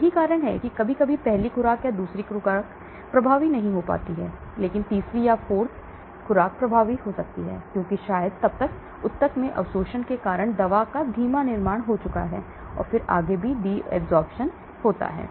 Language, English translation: Hindi, That is why sometimes the first dose or second dose may not be effective, but third, 4th doses become effective because there is a slow buildup of the drug because of maybe tissue absorption then further there is desorption and so on